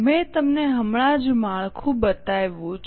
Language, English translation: Gujarati, I have just shown you the structure